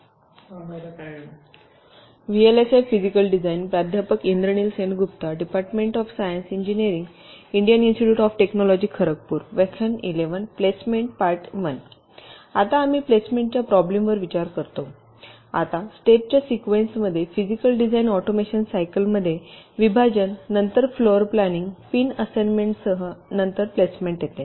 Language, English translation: Marathi, now, in the sequence of steps in the physical design automation cycle, partitioning is followed by floor planning with pin assignment and then comes placement